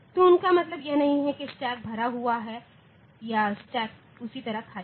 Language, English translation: Hindi, So, they do not mean that the stack is full or stack is empty like that